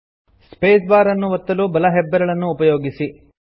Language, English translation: Kannada, Use your right thumb to press the space bar